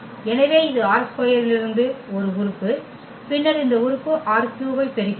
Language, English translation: Tamil, So, this is an element from R 2 and then we are getting this element R 3